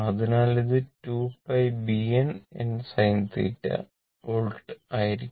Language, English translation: Malayalam, So, it will be 2 pi B A capital N into small n sin theta volts right